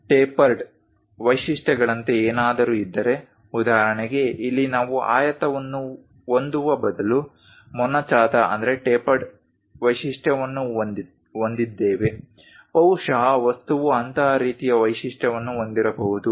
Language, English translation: Kannada, If there are anything like tapered features for example, here, we have a tapered feature instead of having a rectangle perhaps the object might be having such kind of feature